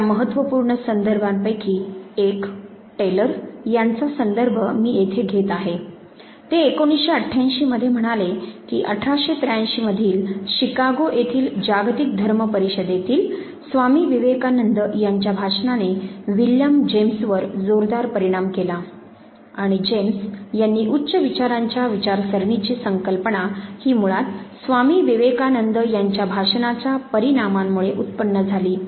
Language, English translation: Marathi, Important among them is one of the references that I am taking here of Taylor 1988, where he says that Swami Vivekanand's talk in 1883 at the world conference on religion in Chicago heavily influenced William James, and the concept of higher states of consciousness at James talks about this very idea was basically conceived because of the impact of Swami Vivekanand's talk